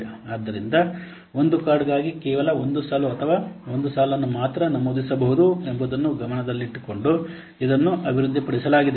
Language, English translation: Kannada, So, it was developing in mind that only one line or yes, one line can be entered for a per card